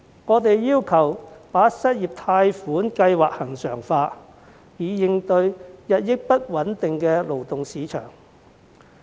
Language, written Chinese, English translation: Cantonese, 我們要求把失業貸款計劃恆常化，以應對日益不穩定的勞動市場。, We call on the Government to regularize the unemployment loan scheme to cope with an increasingly volatile labour market